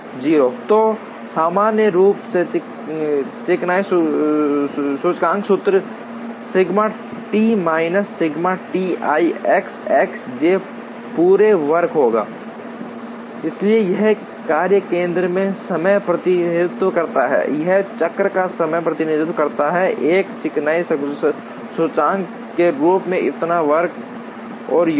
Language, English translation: Hindi, So, in general the smoothness index formula will be sigma T minus sigma T i X i j whole square, so this represents the time in a workstation, this represents a cycle time; so square and sum as a smoothness index